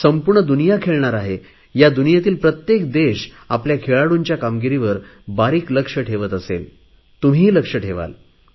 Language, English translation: Marathi, The entire world will be at play… every country in the world will keep a close watch on the performance of its sportspersons; you too will be doing the same